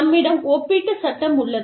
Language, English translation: Tamil, You have comparative law